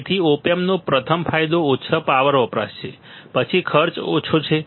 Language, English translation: Gujarati, So, the advantage of op amp is first is low power consumption, then cost is less